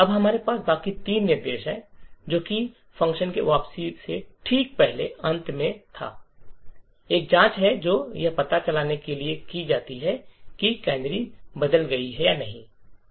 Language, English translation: Hindi, Now we have the rest of three instructions as was here before and at the end just before the return from the function there is a check which is done to detect whether the canary has changed or not